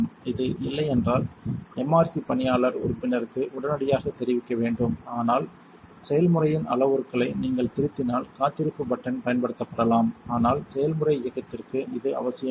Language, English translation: Tamil, If this is not the case you should notify an MRC staff member immediately, but standby button may be used if you are editing the parameters of a recipe, but it is not essential to a process run